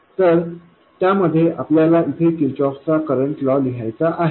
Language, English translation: Marathi, So all we have to do in that is to write the Kirkoff's current law here